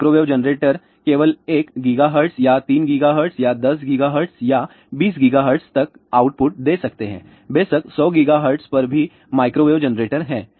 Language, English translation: Hindi, There are microwave generators may give output of only up to one gigahertz or up to 3 gigahertz or 10 gigahertz or 20 gigahertz of course, there are microwave generators at 100 gigahertz also